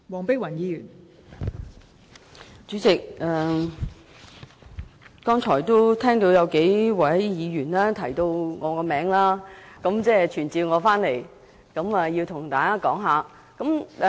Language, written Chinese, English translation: Cantonese, 代理主席，我剛才聽到數名議員提到我的名字，好像傳召我回來向大家發言。, Deputy Chairman I have just heard a few Members mentioning my name as if they are calling me back to speak